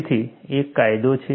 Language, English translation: Gujarati, So, there is an advantage